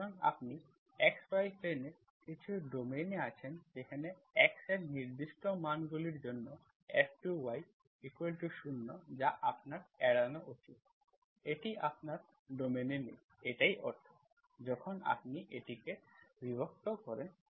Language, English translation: Bengali, So you, you are in some domain in the xy plane where F2 y, certain values of x, where F2 y is 0 you should avoid, that is not in your domain, that is the meaning, when you divide it